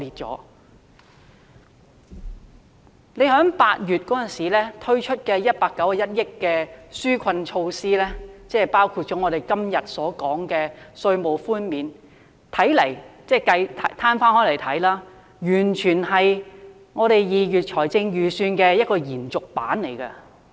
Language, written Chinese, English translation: Cantonese, 當局在8月推出涉款191億元的紓困措施，包括我們今天審議的法案，攤開來看，它完全是2月財政預算案的延續。, Viewed from a comprehensive angle the relief measures of 19.1 billion launched in August including the Bill under consideration today were simply an extension of the Budget presented in February